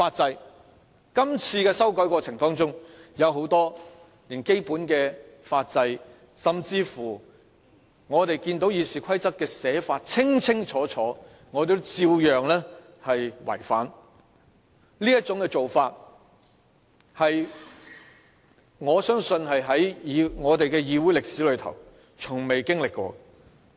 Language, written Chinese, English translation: Cantonese, 在今次修改的過程中，我們連很多基本的法制甚至《議事規則》已清楚訂明的條文也照樣違反，我相信這種做法在我們的議會歷史中從未經歷過。, The process of making amendments this time around has breached many basic rules of our workings and even various provisions of the Rules of Procedure . I believe this is unprecedented in the history of our legislature